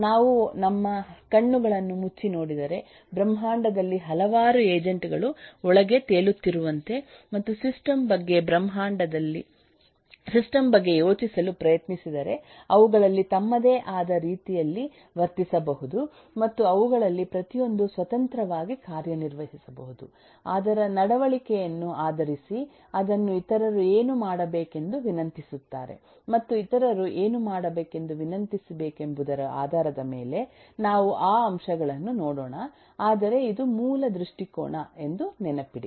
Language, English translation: Kannada, if we, if we close our eyes and think about the system as if there are a number of agents floating around in the in the universe and each one of them can independently act based on what its behavior is, based on what a it is requested by others to do and based on what it needs to request others to do